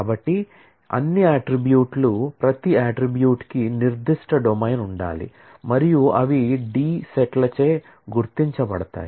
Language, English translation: Telugu, So, all attributes, each attribute will need to have certain domain and those are marked by the D Sets